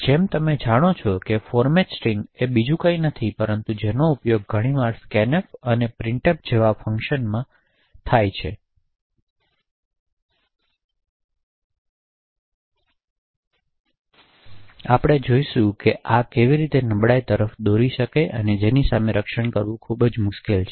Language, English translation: Gujarati, So, as you know the format string is something which is used quite often by functions such as scanf and printf and we will see that how this could lead to a very strong vulnerability that is very difficult to actually protect against